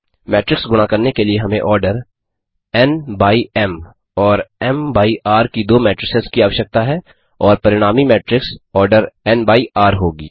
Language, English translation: Hindi, For doing matrix multiplication we need to have two matrices of the order n by m and m by r and the resulting matrix will be of the order n by r